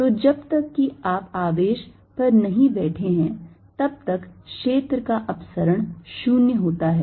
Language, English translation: Hindi, so so as long as you are not sitting on the charge, the divergence of the field is zero